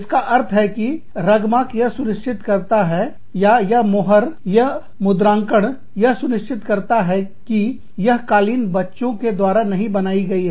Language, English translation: Hindi, Which means, that Rugmark ensures that the, or, it is a seal, it is a stamp, that ensures that, the carpet has not been, made by children